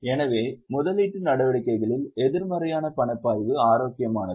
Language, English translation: Tamil, So, negative cash flow in investing activity is healthy